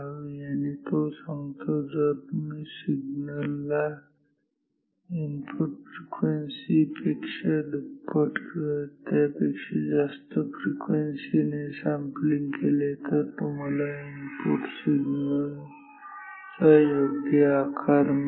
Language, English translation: Marathi, And, he says if you sample the signal with a frequency twice or more higher than the input frequency, then you will get a proper shape of the input signal